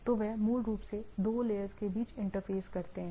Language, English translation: Hindi, So, they basically interfaces between the two layers right